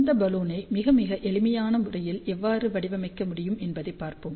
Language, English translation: Tamil, So, let us see how we can design this Balun in a very, very simple manner